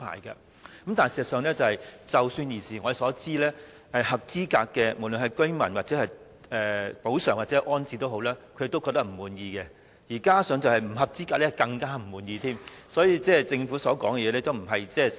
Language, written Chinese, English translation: Cantonese, 然而，據我們所知，當局對合資格居民提供的補償或安置，居民均表示不滿意，至於不合資格居民就更為不滿，所以政府說的並非事實。, Nevertheless as far as we know those eligible residents have expressed dissatisfaction with the compensation or rehousing arrangements provided for them by the authorities . This is even more the case for those not eligible . So what the Government said is not the fact